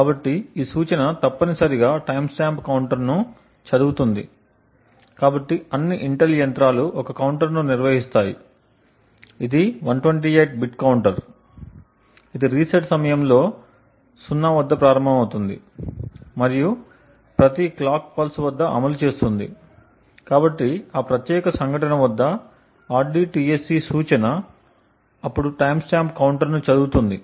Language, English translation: Telugu, So this instruction essentially reads a timestamp counter, so all Intel machines maintain a counter, it is a 128 bit counter which starts at 0 at the time of reset and implements at every clock pulse, so the rdtsc instruction then reads the timestamp counter at that particular incident